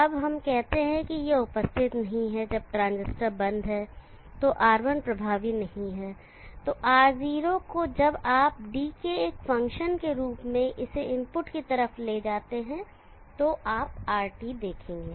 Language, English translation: Hindi, Now let us say this is not there in the picture, R1 is not in the picture when the transistor is off, then Ro when you take it on to the input side as a function of D you will see RT